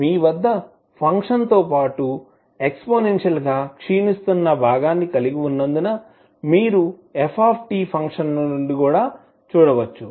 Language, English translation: Telugu, And this is what you can see from the function f t also because you have a exponentially decaying component with the function